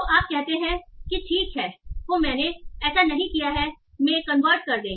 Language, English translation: Hindi, So you say, okay, you convert that to, okay, I have didn't, then not like